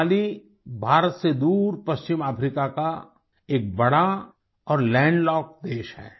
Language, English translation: Hindi, Mali is a large and land locked country in West Africa, far from India